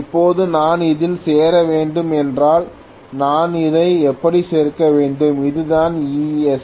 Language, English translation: Tamil, Now, if I have to join this I have to join it like this, this is what is E3